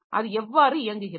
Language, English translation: Tamil, So, how does it operate